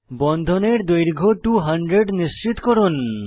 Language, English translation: Bengali, Ensure that bond length is around 200